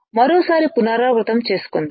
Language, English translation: Telugu, Let us revise once again